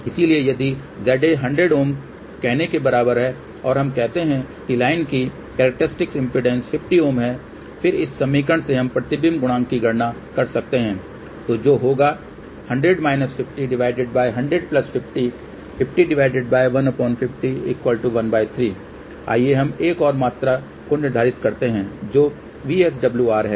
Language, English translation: Hindi, So, if Z A is equal to let us say 100 Ohm and if we say that the characteristic impedance of the line is 50 Ohm, then from this equation we can calculate the reflection coefficient , so which will be 100 minus 50 divided by 100 plus 50